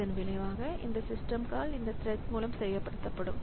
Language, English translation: Tamil, So, as a result, this system call will be executed by this thread